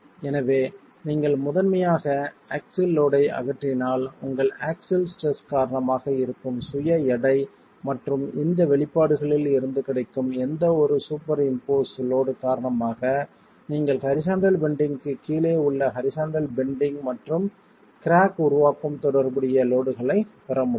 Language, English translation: Tamil, So, if you primarily remove the axial load, the axial stresses due to the self weight and any superimposed load from these expressions you should be able to get the loads corresponding to horizontal bending and crack formation under horizontal bending